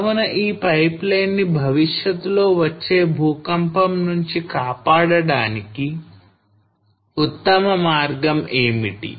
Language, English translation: Telugu, So what is the best way to protect this pipeline from future earthquake